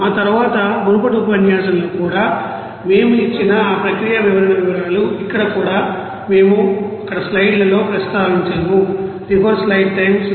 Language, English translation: Telugu, And then the details of that process description we have given in the previous lecture even also here, we have mentioned in the slides there